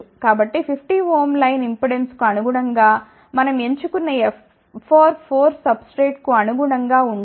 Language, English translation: Telugu, So, corresponding to 50 ohm line impedance, we had calculated the line width which is 1